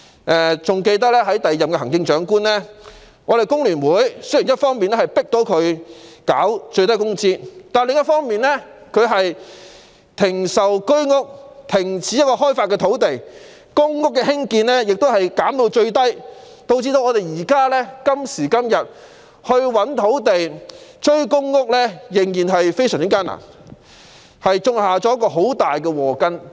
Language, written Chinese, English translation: Cantonese, 我猶記得在第二任行政長官在任時，雖然工聯會成功迫使他落實最低工資，但他卻停售居者有其屋單位、停止開發土地，並將公屋的興建量減至最低，以致今天覓地追趕公屋的興建量仍然困難重重。, As far as I remember during the term of the second Chief Executive he suspended the sale of Home Ownership Scheme flats and land development while also minimizing the construction volume of public housing units despite FTUs success in forcing him to implement a minimum wage . As a result the efforts to identify sites for catching up on the construction volume of public housing units have likewise met with huge difficulties today